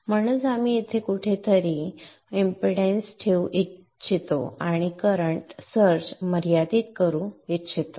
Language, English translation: Marathi, Therefore, we would like to put a series impedance somewhere here and limit the current search